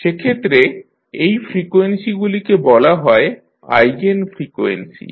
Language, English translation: Bengali, In that case, these frequencies are called as Eigen frequencies